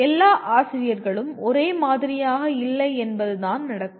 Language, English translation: Tamil, This is where what happens is all teachers are not the same